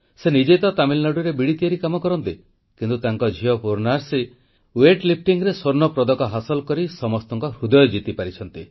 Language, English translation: Odia, Yogananthanmakesbeedis in Tamil Nadu, but his daughter Purnashree won everyone's heart by bagging the Gold Medal in Weight Lifting